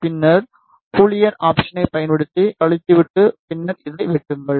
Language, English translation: Tamil, Then use Boolean option and then subtract and then cut this alright